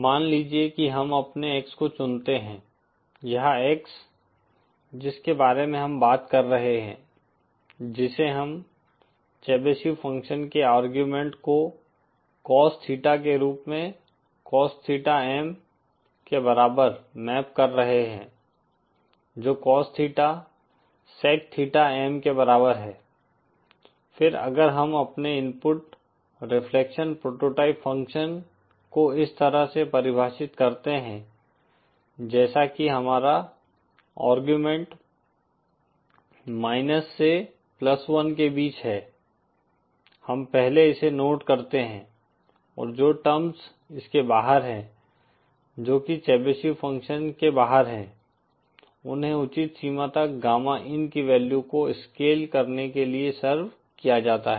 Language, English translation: Hindi, Suppose we choose our X, this X that we are talking about, which we are mapping the argument of the Chebyshev function as cos theta upon cos theta M which is equal to cos theta, sec theta M, then if we define our input reflection prototype function as, like this the first that we note is that our argument is between minus one to plus one and the terms which are outside this, which are outside the Chebyshev function are served to scale the gamma in value to the appropriate limits